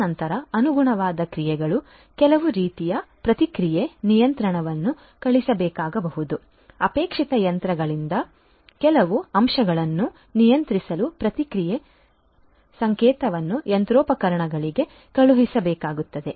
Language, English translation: Kannada, And then the corresponding actions you know maybe some kind of a feedback control will have to be sent a feedback signal will have to be sent to the machinery to control to control certain components in the desired machine